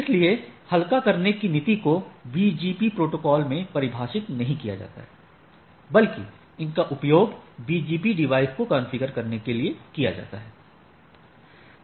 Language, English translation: Hindi, So, lighting policy are not defined per say in BGP protocol rather, they are used to configure a BGP device right